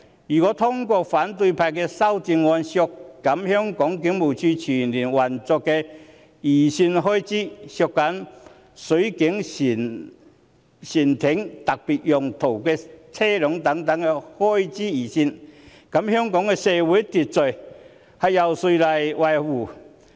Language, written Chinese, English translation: Cantonese, 如果通過反對派的修正案，削減警務處全年運作的預算開支，削減水警船艇和特別用途車輛等預算開支，那麼香港的社會秩序由誰來維持？, If we approve of the oppositions amendments to cut the estimated full - year operational expenses of the Police Force and cut the expenditure on Marine Police craft and police specialised vehicles who will maintain law and order in Hong Kong?